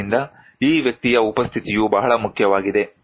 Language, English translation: Kannada, So, the presence of this person is very important